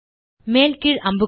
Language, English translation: Tamil, Left click the down arrow